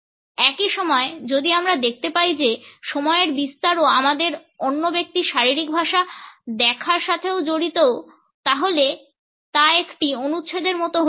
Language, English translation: Bengali, At the same time, if we find that the dimension of time is also associated with our looking at the other person’s body language it becomes like a paragraph